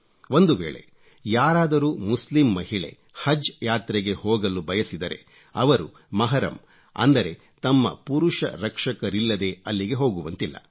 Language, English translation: Kannada, It has come to our notice that if a Muslim woman wants to go on Haj Pilgrimage, she must have a 'Mehram' or a male guardian, otherwise she cannot travel